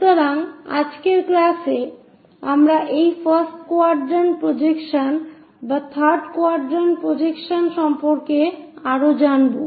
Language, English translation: Bengali, So, in today's class we will learn more about this first quadrant projections